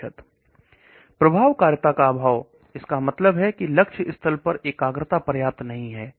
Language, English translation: Hindi, Lack of efficacy, that means the concentration at the target site is not sufficient